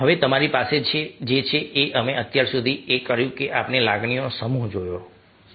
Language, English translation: Gujarati, now, what you have you have done so for is: we have looked at a set of emotions